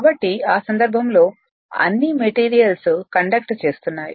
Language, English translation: Telugu, So, in that case all all the all the materials are conducting